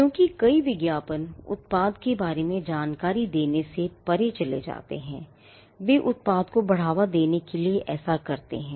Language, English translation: Hindi, Because many advertisements go beyond supplying information about the product, they also go to promote the product